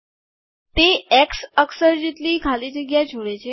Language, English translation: Gujarati, That is the space equivalent of the x character